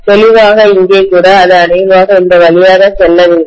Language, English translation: Tamil, Clearly even here, it should probably go through this, okay